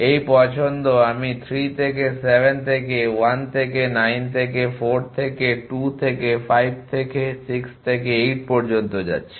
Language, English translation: Bengali, This choice I that I am going from 3 to 7 to 1 to 9 to 4 to 2 to 5 to 6 to 8